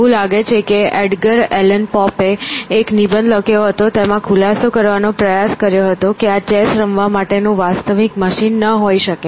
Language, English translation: Gujarati, It seems, Edgar Allan Pope wrote an essay trying to expose that this chess play cannot be a real machine